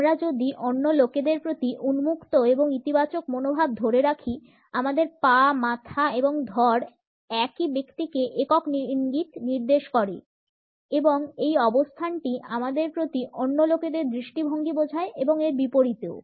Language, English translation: Bengali, If we hold and open and positive attitude towards other people, our feet our head and torso points to the same person in a single clue and this position gives us an understanding of the attitude of other people towards us and vice versa